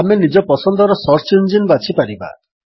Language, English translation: Odia, We can choose the search engine of our choice